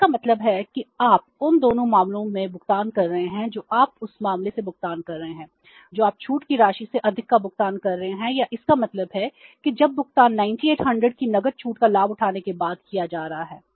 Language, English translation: Hindi, 72 is also there so it means you are paying in both the cases you are paying more than the discount amount or means when the payment is being made after availing the cash discount 980